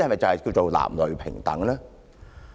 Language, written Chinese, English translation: Cantonese, 這叫男女平等嗎？, Is this an expression of gender equality?